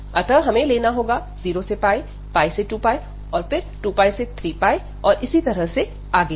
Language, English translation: Hindi, So, we have taken the 0 to pi, pi to 2 pi, and then 2 pi to 3 pi, and so on